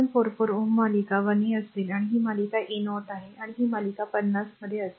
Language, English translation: Marathi, 444 ohm will series 13 and this will be series is 30 and this will be in series in 50